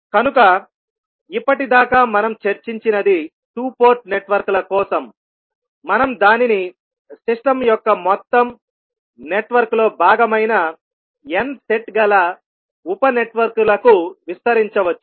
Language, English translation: Telugu, So now, whatever we discussed was for two port networks, we can extend it to n set of sub networks which are part of the overall network of the system